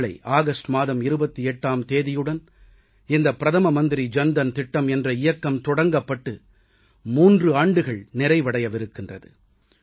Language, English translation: Tamil, Tomorrow on the 28th of August, the Pradhan Mantri Jan DhanYojna will complete three years